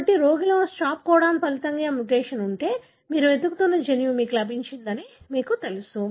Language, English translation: Telugu, So, in a patient if there is a mutation resulting in stop codon, then you know that you have gotten the gene that you are looking for